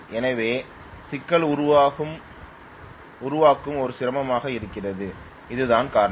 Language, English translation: Tamil, So the problem formulation itself was a difficulty there that is the reason